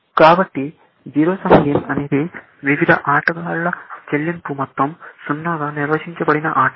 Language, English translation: Telugu, So, a zero sum game is the game, in which, the sum of the payoffs of different players is 0